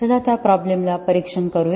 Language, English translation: Marathi, Let us examine that problem